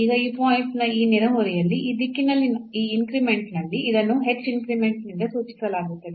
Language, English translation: Kannada, Now in this neighborhood of this point, either in this increment in this direction is denoted by h increment in the y direction was denoted by k